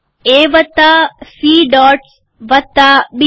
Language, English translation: Gujarati, A plus C dots plus B